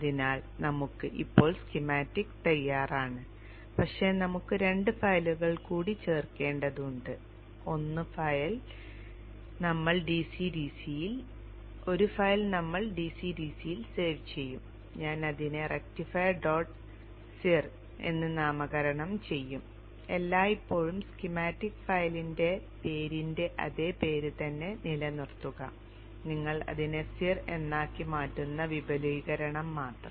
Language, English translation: Malayalam, So we have now the schematic ready but we have to add two more files, one file we will save as into the DCDC I will name it as rectifier dot CIR always keep the same the same name as that was schematic file name and only the extension you change it to CIR save that and here first line is always a comment